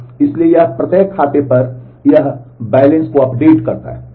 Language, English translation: Hindi, So, it performs this balance update on each of the accounts